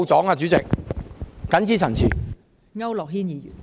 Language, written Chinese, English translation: Cantonese, 代理主席，謹此陳辭。, Deputy Chairman I so submit